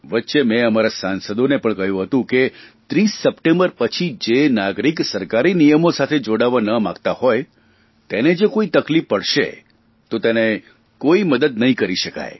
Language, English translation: Gujarati, In between, I had even told the Members of the Parliament that after 30th September if any citizen is put through any difficulty, the one who does not want to follow due rules of government, then it will not be possible to help them